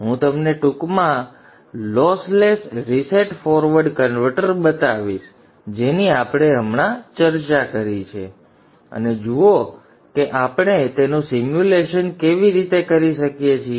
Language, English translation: Gujarati, I shall briefly show to you the lossless reset forward converter that we just discussed and see how we can do the simulation of that one